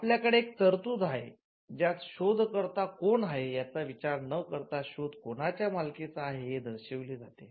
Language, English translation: Marathi, Now, you also have a provision, where you need to mention the inventor, regardless of who owns the invention